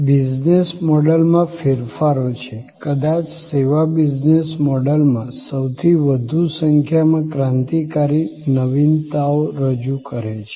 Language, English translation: Gujarati, There are changes in the business models; service is perhaps introducing the most number of revolutionary innovations in business models